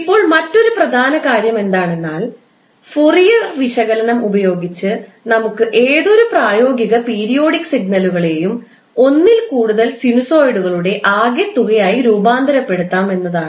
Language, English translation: Malayalam, Now, another important aspect is that using Fourier analysis we can transform any practical periodic signal into some of sinusoids